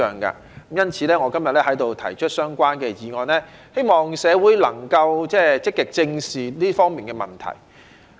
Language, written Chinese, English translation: Cantonese, 因此，我今天在此提出相關的議案，希望社會能夠積極正視這方面的問題。, Therefore I move a relevant motion here today in the hope that the community can actively address the problems in this regard